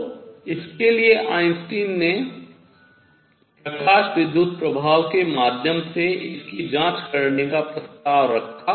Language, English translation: Hindi, So, for that Einstein proposed checking it through photo electric effect